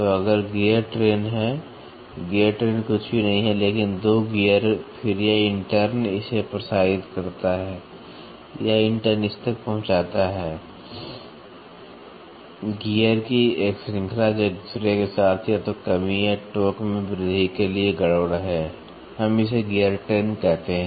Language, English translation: Hindi, So, if there is the gear train; gear train is nothing, but the 2 gears then this intern transmits to this, this intern transmits to this, a series of gears, which are in mess with each other either for reduction or increase in torque we call it as gear train